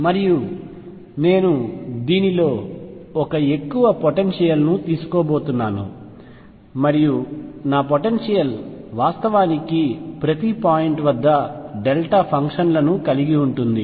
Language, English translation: Telugu, And I am going to take an extreme in this and say that my potential actually consists of delta functions at each point